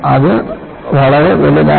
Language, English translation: Malayalam, Now, it is so huge